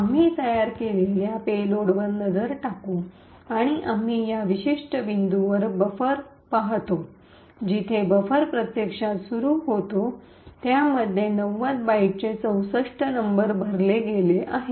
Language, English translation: Marathi, We would look at the payload that we have created, and we see at this particular point the buffer actually starts is supposed to be present we see that there are 64 Nops comprising of the byte 90